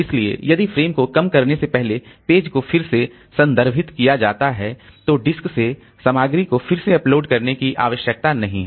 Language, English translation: Hindi, So, if page is referenced again before the frame is reused, no need to load contents again from the disk